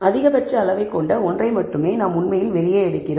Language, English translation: Tamil, Only the one that has the maximum magnitude we actually take it out